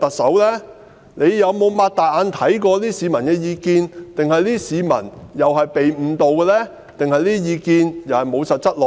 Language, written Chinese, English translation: Cantonese, 司長可有睜開眼看看市民的意見，還是他認為市民都被誤導，他們的意見都欠缺實質內容呢？, Has the Chief Secretary opened up his eyes and looked into the views of the public? . Or does he think that members of the public have been misled and their views lack substantive content?